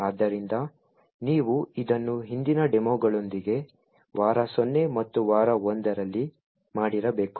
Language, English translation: Kannada, So, you should have done it with the previous demos in the week 0 and week 1